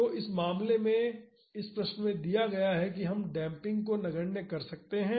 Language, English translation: Hindi, So, in this case in this question it is given that we can neglect damping